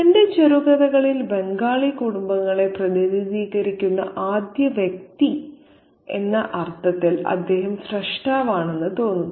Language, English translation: Malayalam, It's as if he is the creator in the sense that he is the first one to represent Bengali families in his short fiction